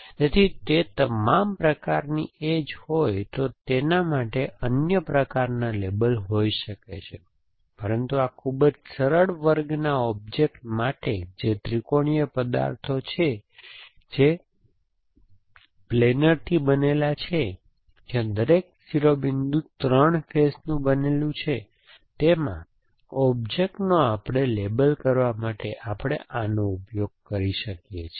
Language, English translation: Gujarati, So, all kinds of edges in be there and they could be other kinds of labels, but for this very simple class of object which is trihedral objects which are made up of planer where each vertex made up of 3 faces, there are the 4 kind of objects we can use to label